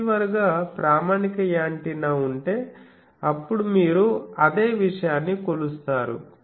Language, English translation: Telugu, So, standard antenna as receiver then again you measure same thing